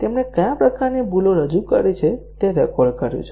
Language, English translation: Gujarati, He has recorded what type of bugs he has introduced